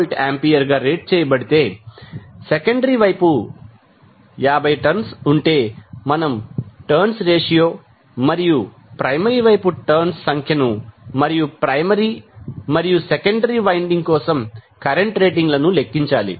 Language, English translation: Telugu, 6 kVA has 50 turns on the secondary side, we need to calculate the turns ratio and the number of turns on the primary side and current ratings for primary and secondary windings